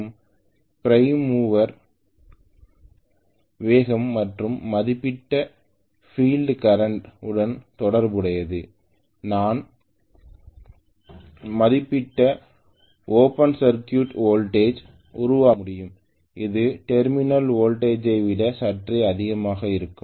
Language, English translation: Tamil, Right and corresponding to that prime mover speed and a rated field current I will be able to generate the rated open circuit voltage which will be slightly higher than the terminal voltage